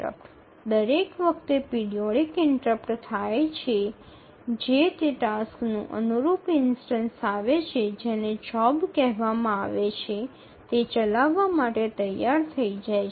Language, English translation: Gujarati, So each time the periodic timer interrupt occurs, the corresponding instance of that task which is called as a job is released or it becomes ready to execute